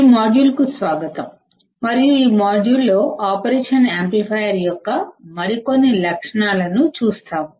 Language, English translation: Telugu, Welcome to this module and in this module, we will see some more characteristics of an operational amplifier